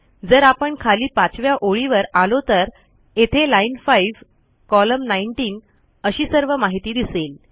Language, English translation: Marathi, So if we come down to line 5 you can see here that is line 5 column 19 (Ln5, Col19) we get all the information